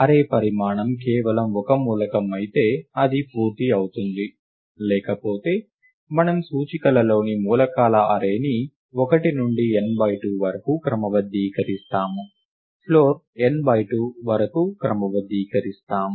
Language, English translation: Telugu, If the array size is just a single element, it is done; otherwise, we sort the array of elements in the indices 1 to n by 2 – the floor of n by 2